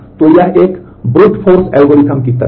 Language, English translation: Hindi, So, it is kind of a brute force algorithm